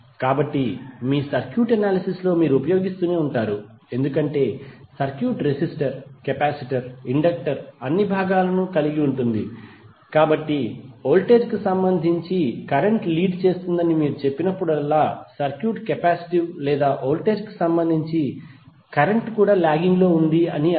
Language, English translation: Telugu, So this particular aspect you will keep on using in your circuit analysis because the circuit will compose of resistor, capacitor, inductor all components would be there, so when you will say that current is leading with respect to voltage it means that the circuit is capacitive or even the current is lagging with respect to voltage you will say the circuit is inductive